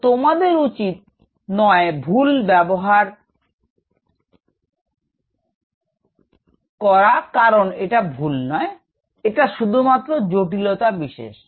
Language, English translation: Bengali, So, you should not use the wrong because it is not the wrong; it is just the confused